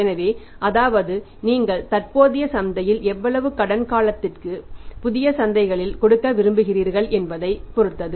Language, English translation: Tamil, So, that is, that depends upon that in the existing market how much credit period you normally want to give in the new markets how much credit period you want to give